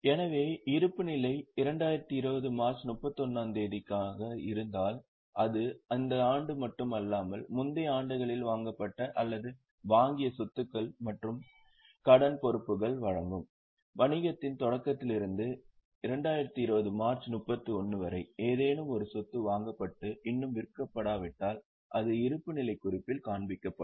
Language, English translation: Tamil, So, if the balance sheet is for 31st March 2020, it will give the assets and liabilities which are purchased or which are acquired in all the earlier years, not just this year, right from the starting of the business till 31 March 2020 if any asset is purchased and not yet sold, it will be shown in the balance sheet